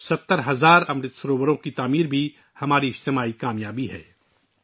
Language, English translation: Urdu, Construction of 70 thousand Amrit Sarovars is also our collective achievement